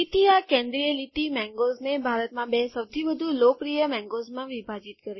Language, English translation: Gujarati, So this central line has split the mangoes into two of the most popular mangoes in India